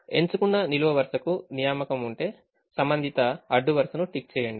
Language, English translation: Telugu, if a ticked column has an assignment, then tick the corresponding row